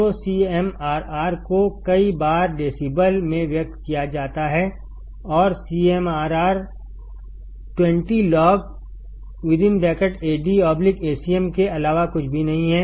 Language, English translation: Hindi, So, CMRR is many times expressed in decibels and CMRR is nothing but 20 log Ad by Acm